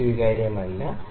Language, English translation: Malayalam, 5 is it is not acceptable